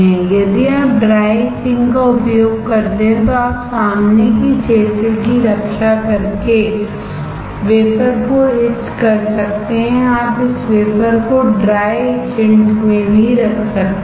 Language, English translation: Hindi, If you use dry etching then you can etch the wafer by protecting the front area you can even put this wafer in the dry etchant